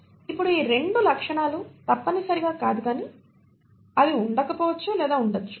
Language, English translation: Telugu, Now these 2 features are not mandatory but they may or may not be present